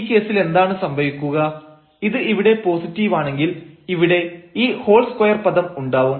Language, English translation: Malayalam, So, in this case what will happen, when this is positive here then we have this whole square term and we have this k square term